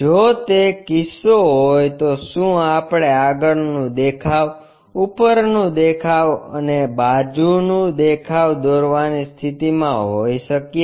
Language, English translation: Gujarati, If that is the case can we be in a position to draw a front view, a top view, and a side view